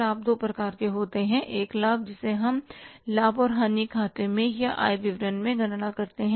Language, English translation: Hindi, One profit which we calculate in the profit and loss account or in the income statement